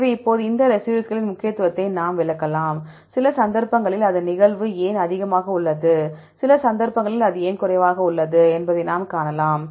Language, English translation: Tamil, So, now, we can explain the importance of these residues, why its occurrence is high in some cases why it is low in some cases we can find